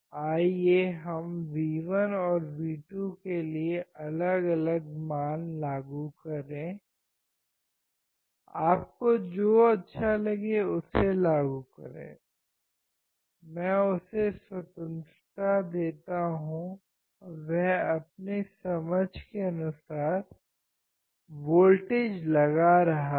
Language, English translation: Hindi, Let us apply different values for V1 and V2; just apply whatever you like; I give him the freedom and he is applying voltage according to his understanding